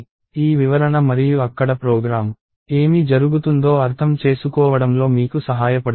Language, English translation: Telugu, So, hopefully this explanation and the program there, helps you in understanding what is happening